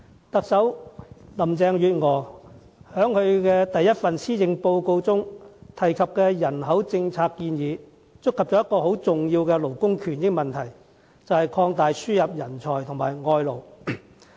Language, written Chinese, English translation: Cantonese, 特首林鄭月娥在首份施政報告中提及的人口政策建議，觸及一個很重要的勞工權益問題，便是擴大輸入人才和外勞。, In the population policy recommendations put forward by the Chief Executive Carrie LAM in her first Policy Address she touches on the very important issue of labour right which is about expanding the importation of talents and professionals and foreign labour